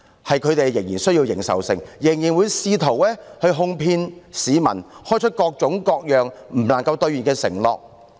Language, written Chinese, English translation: Cantonese, 是前者仍然需要認受性，仍然試圖哄騙市民，開出各種各樣無法兌現的承諾。, The difference lies in the fact that the former still needs public acceptance and still attempts to coax the public by making all sorts of undeliverable promises